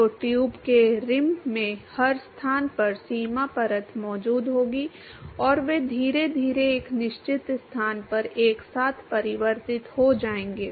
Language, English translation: Hindi, So, the boundary layer will be present in every location in the rim of the tube and they will slowly merge in convert together at a certain location